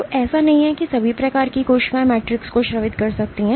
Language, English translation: Hindi, So, it is not that all types of cells can secrete the matrix